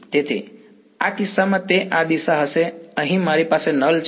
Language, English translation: Gujarati, So, in this case it will be this direction right here I have a null